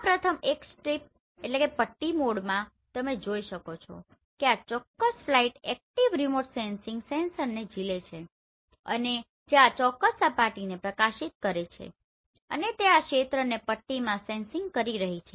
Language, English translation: Gujarati, In this first one strip mode you can see this particular flight is carrying a active remote sensing sensor and which is illuminating this particular surface and it is sensing this area in strip